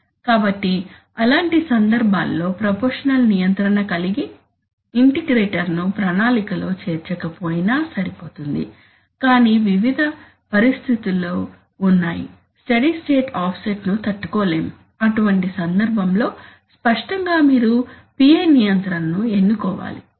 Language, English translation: Telugu, So in such cases also even if the plan does not include an integrator having a proportional control is okay, but there are various situations where and, a steady state offset cannot be tolerated, in such a case obviously you must go for PI control